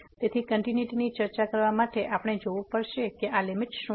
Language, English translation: Gujarati, So, to discuss the continuity, we have to see what is the limit of this